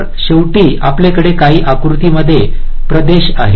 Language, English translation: Marathi, so finally, we have some rectangular regions